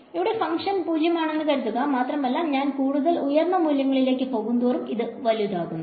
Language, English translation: Malayalam, So, if the function is 0 all along over here and as I go to higher and higher values this is going to get larger and larger